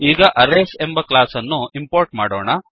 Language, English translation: Kannada, Let us now import the class Arrays